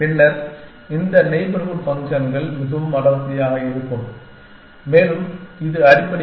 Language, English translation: Tamil, Then, this neighborhood functions would more dense and this one essentially